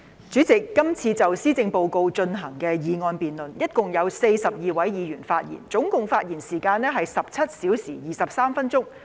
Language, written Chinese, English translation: Cantonese, 主席，這次就施政報告進行的議案辯論，一共有42位議員發言，總發言時間是17小時23分鐘。, President during the motion debate on the Policy Address this time around 42 Members in total have spoken with a total speaking time of 17 hours and 23 minutes